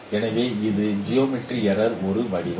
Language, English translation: Tamil, There could be geometric error